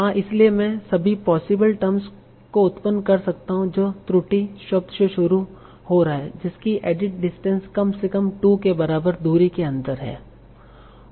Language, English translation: Hindi, So I can possibly generate all possible terms starting from the error word that are within some addistance of less than equal to 2